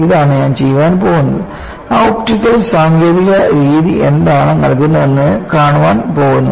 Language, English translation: Malayalam, This is what I am going to do and I am going to see what that optical technique gives